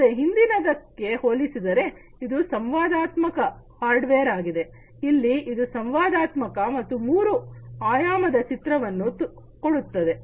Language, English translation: Kannada, So, it is an interactive hardware unlike the previous one, here it is interactive and it offers a three realistic three dimensional image